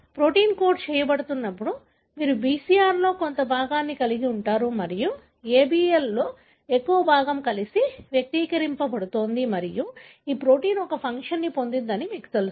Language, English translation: Telugu, So, when the protein is being coded, you are going to have part of a BCR and large part of ABL together is expressing and this protein, you know, has got a function